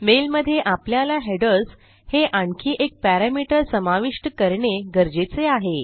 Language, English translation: Marathi, Inside our mail we need to add another parameter now which is headers